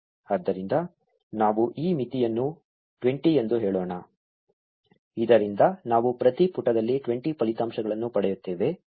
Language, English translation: Kannada, So, let us reduce this limit to say 20, so that we will get 20 results in each page